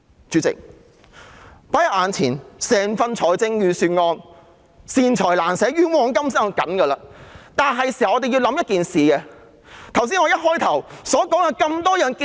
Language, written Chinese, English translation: Cantonese, 主席，放在眼前的整份預算案固然是"善財難捨，冤枉甘心"，但我們是時候想想一件事。, President the entire Budget laid before us is surely tight - fisted on benevolent measures but splashing out on unworthy causes . But it is time for us to think about one thing